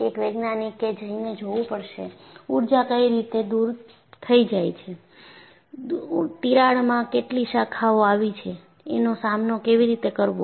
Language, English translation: Gujarati, A scientist has to go and see how the energy has been dissipated, how many crack branches have come about and how to deal with this